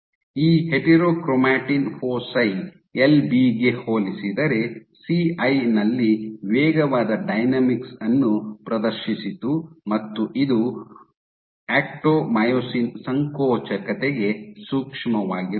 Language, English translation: Kannada, So, this heterochromatin foci exhibited faster dynamics in CI compared to LP and this was sensitive to actomyosin contractility